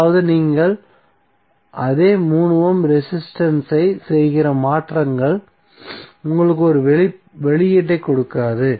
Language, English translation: Tamil, That means that the transformations which you are doing the same 3 ohm resistance will not give you the same output